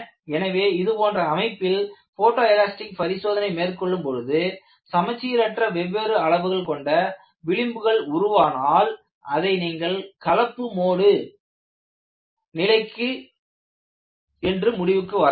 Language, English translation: Tamil, So, in an actual structure, when you do a photo elastic testing, if you find the fringes are of different sizes and they are not symmetrical, you can immediately conclude that, this is a mixed mode situation